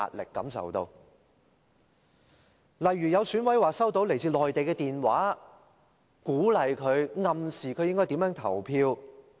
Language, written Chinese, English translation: Cantonese, 例如，有選舉委員會委員說收到來自內地的電話，鼓勵、暗示他應該如何投票。, A case in point is that a member of the Election Committee EC indicated that he has received phone calls from the Mainland encouraging and implicitly telling him how to vote